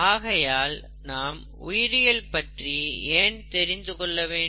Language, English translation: Tamil, So, why do we need to know biology